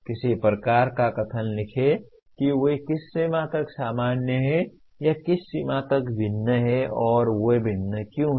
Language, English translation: Hindi, Write some kind of a statement to what extent they are common or to what extent they differ and why do they differ